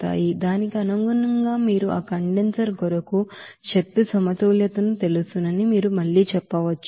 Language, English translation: Telugu, So accordingly you can do again that you know energy balance for that condenser